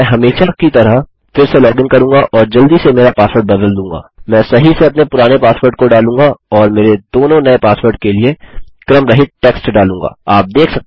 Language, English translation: Hindi, Ill login again as usual and quickly change my password, Ill put my old password in correctly and random text for my two new passwords